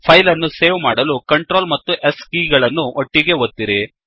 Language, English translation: Kannada, Now, Save the file by pressing Control and S keys simultaneously